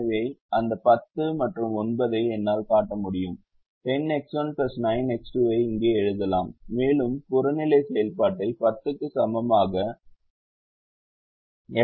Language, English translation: Tamil, i can write here ten x one plus nine x two and we can write the objective function as equal to ten into the value of x